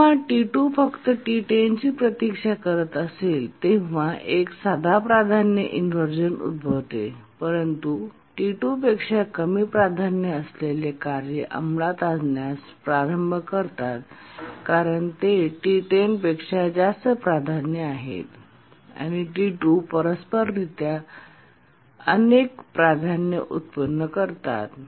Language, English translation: Marathi, Here a simple priority inversion occurs when T2 is simply waiting for T10, but then the unbounded priority inversion occurs where tasks which are of lower priority than T2, they start executing because they are higher priority than T10 and T2 undergoes many priority inversion, one due to T10 initially, then later due to T5, T3, T7, etc